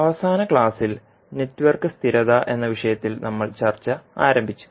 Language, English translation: Malayalam, So in the last class, we started the, our discussion on, the topic called Network Stability